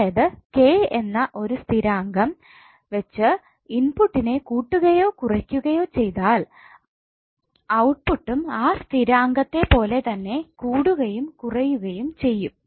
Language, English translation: Malayalam, So if input is increased or decreased by constant K then output will also be increase or decrease by the same constant K